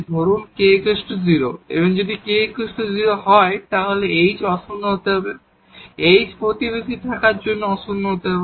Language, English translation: Bengali, Suppose this k is 0, so if if k is 0 then h has to be non zero, h has to be non zero to have in the neighborhood